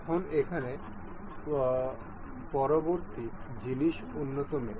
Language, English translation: Bengali, Now, the next things here is advanced mates